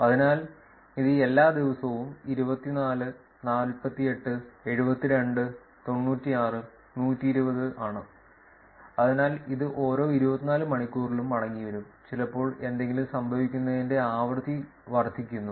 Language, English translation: Malayalam, So, this is for every day 24, 48, 72, 96 120, so it is kind of coming back every 24 hours and sometimes the frequency is also increasing for something happens